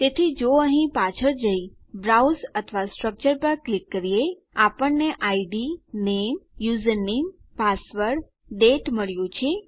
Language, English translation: Gujarati, So if we go back to here and click on browse or structure that one we got id, name, username, password, date